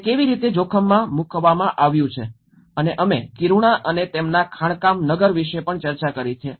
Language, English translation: Gujarati, How it has been subjected to risk and we also discussed about Kiruna, their mining town